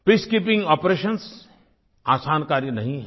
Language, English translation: Hindi, Peacekeeping operation is not an easy task